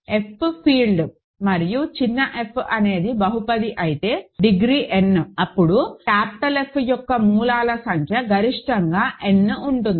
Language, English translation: Telugu, If F is a field and small f is a polynomial, then of degree n, then the number of roots of f in capital F is at most n